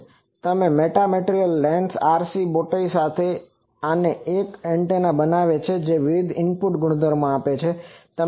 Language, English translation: Gujarati, So, RC bowtie with metamaterial lens this together makes an antenna it gives various input properties